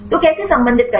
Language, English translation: Hindi, So, how to relate